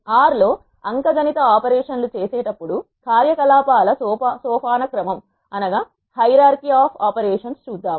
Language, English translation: Telugu, Let us look at the hierarchy of operations while performing the arithmetic operations in R